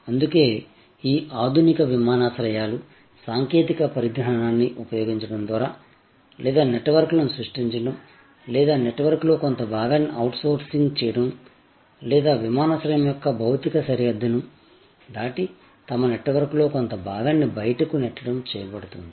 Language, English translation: Telugu, So, that is why, these modern airports by use of technology or creating networks or sort of outsourcing part of the network or pushing out part of their network beyond the physical boundary of the airport